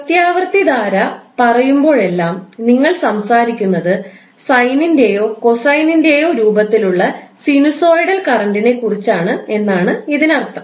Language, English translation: Malayalam, So, whenever you say that this is alternating current, that means that you are talking about sinusoidal current that would essentially either in the form of sine or cosine function